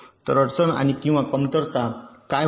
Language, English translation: Marathi, so what was the difficulty or the drawback